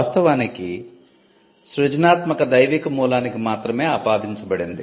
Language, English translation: Telugu, In fact, creativity was attributed only to divine origin